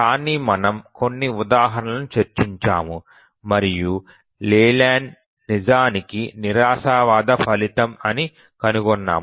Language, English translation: Telugu, But we just throw some example, found that Liu Leyland is actually a pessimistic result